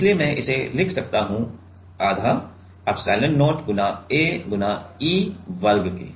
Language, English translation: Hindi, So, I can write it as half of epsilon not A × E square right